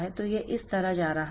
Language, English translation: Hindi, So, it is going like this